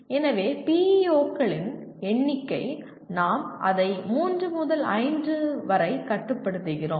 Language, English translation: Tamil, So the number of PEOs, we limit it to anywhere from three to five